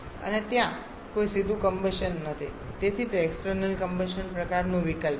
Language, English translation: Gujarati, And there is no direct combustion so it is an external combustion kind of option